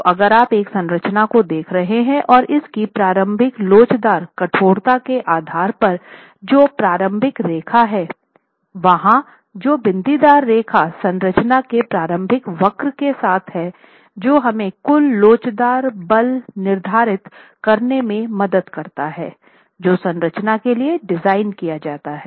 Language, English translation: Hindi, So, if you are looking at a structure and based on its initial elastic stiffness, which is the initial line, the dotted line that's there along the initial curve of the structure, that helps us determine what is the total elastic force that the structure is to be designed for